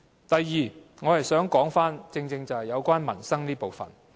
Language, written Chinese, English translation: Cantonese, 第二，我正正想說民生這部分。, Second I precisely wish to talk about the peoples livelihood